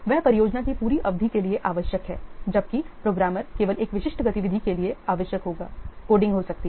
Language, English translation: Hindi, He is required for the whole duration of the project whereas the programmer he will be required only for a specific activity, maybe the coding